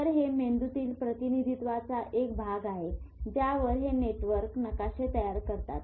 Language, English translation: Marathi, So, these are the type of representations in the brain through which these networks form maps